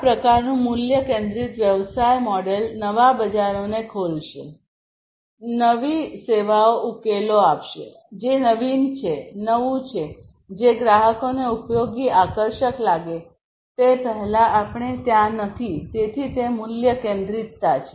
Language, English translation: Gujarati, This kind of value centric business model will open up new markets, new services will give solutions, which are innovative, which are new, which we are not there before customers find it useful exciting, and so on; so that is the value centricity